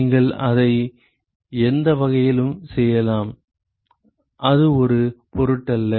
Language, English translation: Tamil, So, you can do it either way it does not matter